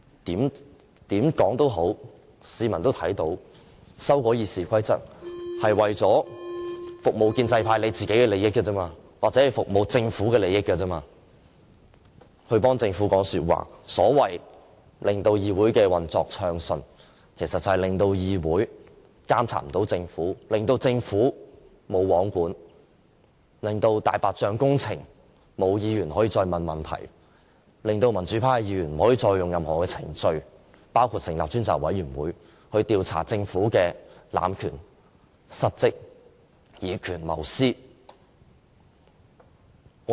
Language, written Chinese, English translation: Cantonese, 無論如何，市民看到修改《議事規則》是為了服務建制派的利益，或者為了服務政府的利益，為政府說話，所謂令議會運作暢順，其實就是令議會無法監察政府，令政府"無皇管"，令議員不能再就"大白象"工程提出質詢，令民主派議員不可以再用任何程序，包括成立專責委員會去調查政府濫權、失職和以權謀私的行為。, In any event the public can see that the amendments to RoP are meant to serve the interests of the pro - establishment camp and the Government . Under the pretext of smooth operation the amendments will render the Council unable to monitor the Government which will then run out of control . Members will thus no longer be able to raise questions on white elephant projects and pro - democracy Members will no longer be able to investigate cases involving abuse of power dereliction of duty and making personal gains by means of any procedure including the setting up of select committees